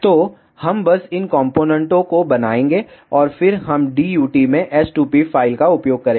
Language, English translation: Hindi, So, we will just make these components and then we will use the s2p file in DUT ok